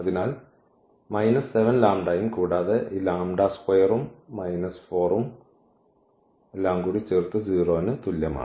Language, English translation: Malayalam, So, minus 7 lambda and plus this lambda square and minus 4 is equal to 0